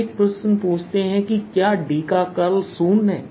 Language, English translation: Hindi, lets ask a question: is divergence of or curl of d is zero